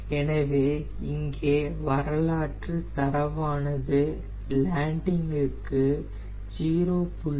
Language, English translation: Tamil, so here historical data is for landing